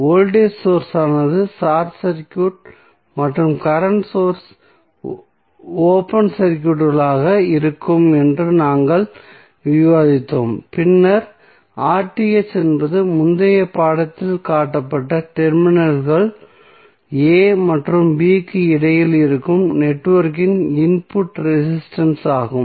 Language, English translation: Tamil, As we just discussed that voltage source would be short circuited and current source will be open circuited and then R Th is the input resistance of the network looking between the terminals a and b that was shown in the previous figure